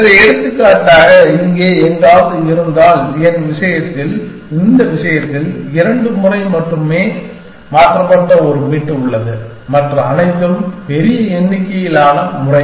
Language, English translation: Tamil, So, for example, if somewhere here, there is a bit which has been change only twice in my whole this thing and everything else is large number of times